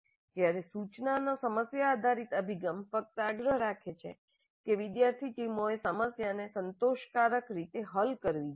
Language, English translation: Gujarati, Whereas in the problem based approach to instruction, it only insists that the students teams must solve the problem satisfactorily